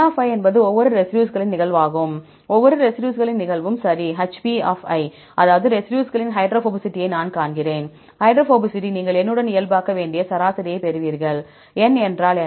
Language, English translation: Tamil, n is the occurrence of each residues, right the occurrence of each residues, hp; that means, you see hydrophobicity of residue i right, hydrophobicity, you get the average you have to normalize with N; what is N